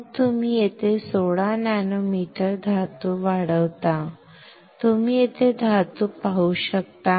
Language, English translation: Marathi, Then you grow 16 nanometer metal here, you can see metal is here